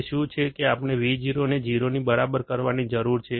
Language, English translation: Gujarati, What is it that we need to make Vo equal to 0